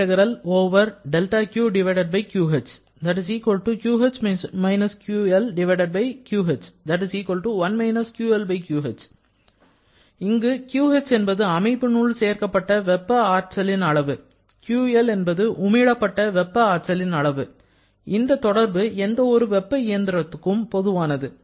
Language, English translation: Tamil, So, QH is the amount of heat added to the system and QL is the amount of heat rejected that is 1 QL/QH which is true for any heat engine